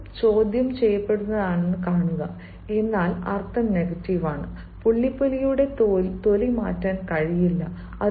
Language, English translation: Malayalam, now see, the sentence is in integrative, but the meaning is negative: a leopard cannot change its skin